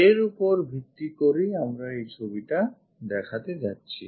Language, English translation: Bengali, Based on that we are going to show this picture